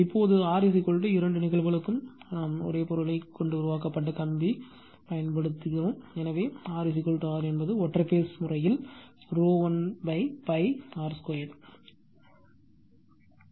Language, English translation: Tamil, Now, we know that R is equal to we use the same material that wire is made of the same material for both the cases, so R is equal to capital R that is the first case that is single phase case rho l upon pi r square